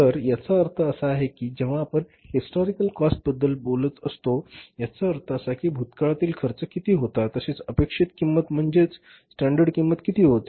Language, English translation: Marathi, So, it means when you are talking about the historical cost, it means what was the cost incurred in the past, what was the cost incurred in the past and what is the expected cost that is the standard cost